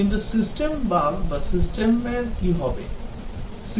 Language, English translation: Bengali, But what about system bug